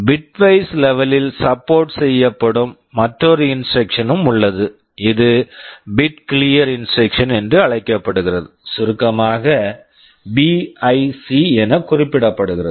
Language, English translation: Tamil, There is another instruction also that is supported at the bitwise level this is called bit clear instruction, in short BIC